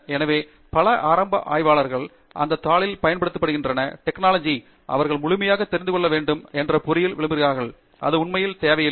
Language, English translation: Tamil, So, many initial researchers fall into this trap that they need to know all the basics of every single tool or technique that is being used in that paper before they can reproduce that result; that is not really needed